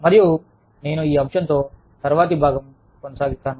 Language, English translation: Telugu, And, i will continue with this topic, in the next part